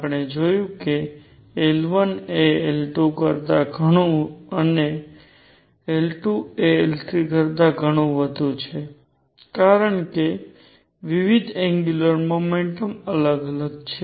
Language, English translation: Gujarati, We found that L 1 is greater than L 2 is greater than L 3, because the different angular momentums are different